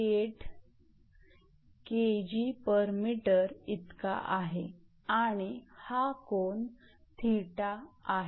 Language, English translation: Marathi, 078 kg per meter and this angle is theta